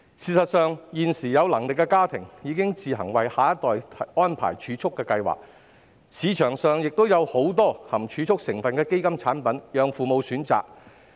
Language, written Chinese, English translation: Cantonese, 事實上，現時有能力的家庭已自行為下一代安排儲蓄計劃，市場上亦有很多含儲蓄成分的基金產品供父母選擇。, As a matter of fact financially secure families have taken out savings schemes for the next generation on their own and there are many savings - related fund products available in the market for parents to choose from